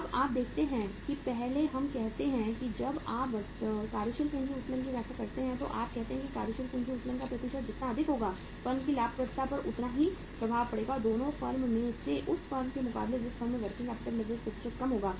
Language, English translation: Hindi, Now you see that first we say when you interpret the working capital leverage you say that higher the percentage of the working capital leverage, higher is going to be the impact upon the profitability of the firm as compared to the firm having the lower percentage of the working capital leverage out of the 2 firms